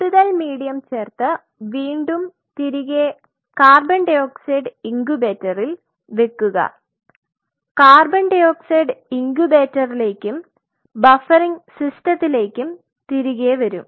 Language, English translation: Malayalam, Add more medium and of course, again put it back in the co 2 incubator will come back to the co 2 incubator and the buffering system